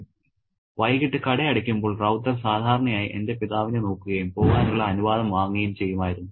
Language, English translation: Malayalam, When the shop closed in the evening, Ravatha would usually look in the direction of my father and take permission to leave